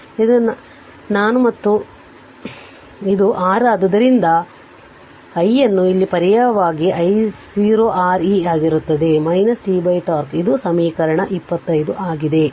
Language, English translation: Kannada, So, this is your I and this is R so substitute I here it will be I 0 into R e to the power minus t upon tau this is equation 25